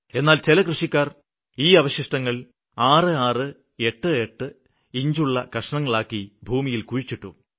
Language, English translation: Malayalam, But some farmers chopped those stumps into 66, 88 inch pieces and buried them inside the soil